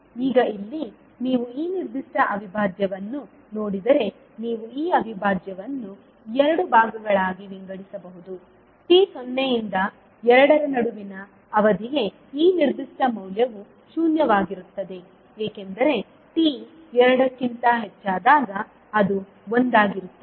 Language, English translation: Kannada, Now here if you see this particular integral you can divide this integral into two parts for time t ranging between zero to two this particular value will be zero because it will be one when t is greater than two